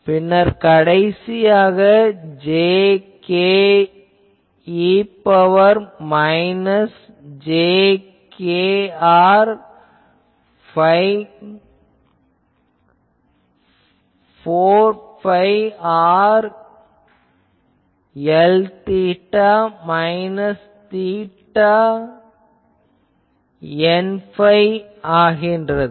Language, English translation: Tamil, So, jk e to the power minus j k r by 4 phi r N phi minus L theta by eta and all